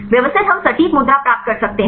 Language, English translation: Hindi, Systematic we can get the exact pose